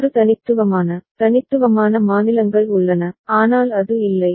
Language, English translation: Tamil, There are 6 unique, unique states, but it is missing